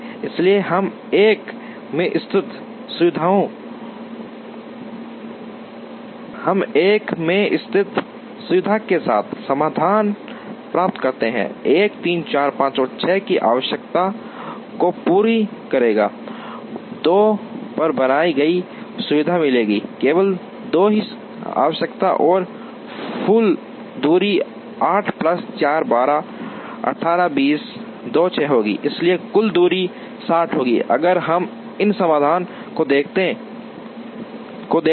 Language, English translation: Hindi, So, we get the solution with facility located in 1, will meet the requirements of 1 3 4 5 and 6, facility created at 2 will meet the requirements of 2 only and the total distance will be 8 plus 4, 12, 18 20 2 6, so total distance will be 60, if we look at this solution